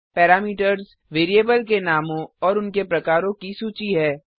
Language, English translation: Hindi, parameters is the list of variable names and their types